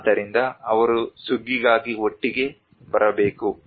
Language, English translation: Kannada, So that they have to come together for the harvest